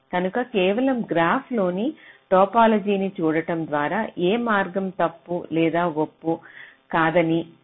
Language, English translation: Telugu, so just by looking at the topology, just in the graph, you cannot tell which path is false or which path is not false